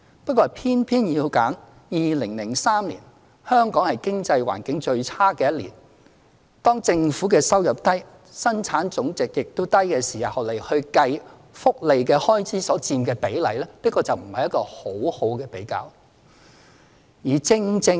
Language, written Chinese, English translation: Cantonese, 不過，他偏偏要選2003年，是香港經濟環境最差的一年，當政府收入低、本地生產總值亦低的時候，計算福利開支所佔的比例，這不是一個很好的比較。, But he just chose the figure in 2003 when Hong Kong was at its worst economic state . Back then both government income and GDP were low . If we calculate the percentage of welfare expenditure against those figures it will not be a sound comparison